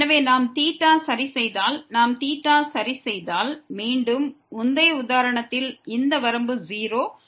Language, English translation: Tamil, So, if we fix theta, if we fix theta, then again like in the previous example this limit is 0